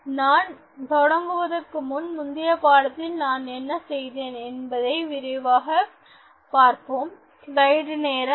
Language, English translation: Tamil, So, before I start, let us take a quick look at what I did in the previous lesson